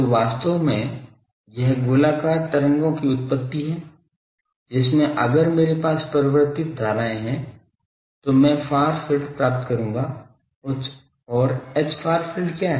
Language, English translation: Hindi, So, actually this is the genesis of spherical waves so, in a where if I have a current varying current, I will get the far field will be of this and what is H far field